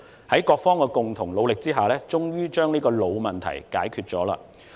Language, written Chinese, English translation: Cantonese, 在各方的共同努力下，我們終於把這個老問題解決掉。, We have finally solved this old problem with the concerted efforts of different parties